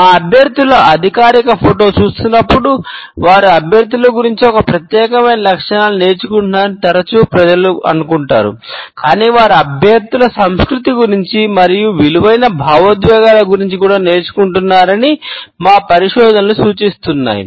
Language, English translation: Telugu, Often people think that when they are viewing our candidates official photo, they are learning about the candidates a unique traits, but our findings suggest that they are also learning about the candidates culture and the emotions it values